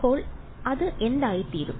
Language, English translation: Malayalam, So, what is that become